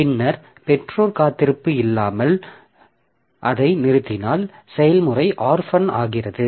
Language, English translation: Tamil, And if the parent terminated without invoking weight, then the process is orphan